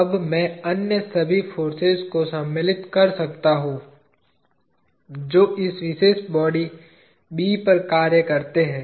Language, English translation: Hindi, Now I can insert all the other rest of the forces that act on this particular body B